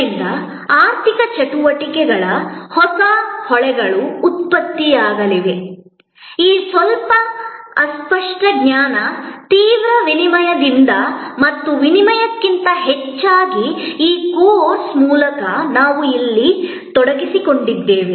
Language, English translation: Kannada, So, there will be new streams of economic activities that will be generated, from this somewhat intangible knowledge intensive exchange and more than exchange, co creation that we are engaged in here through this course